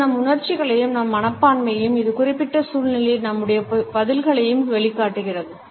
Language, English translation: Tamil, So, it showcases our feelings and our attitudes as well as our response in a given situation